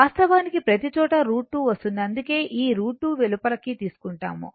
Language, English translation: Telugu, Actually everywhere root 2 will come that is why this root 2 is taken outside, right